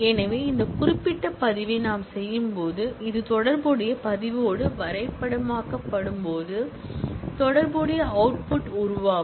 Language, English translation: Tamil, So, when we do this particular record, when it gets mapped with this corresponding record, it will generate the corresponding output record